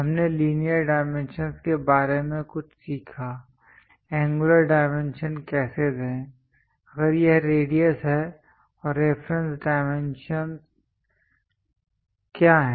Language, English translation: Hindi, We learned something about linear dimensions, how to give angular dimensions, if it is radius and what are reference dimensions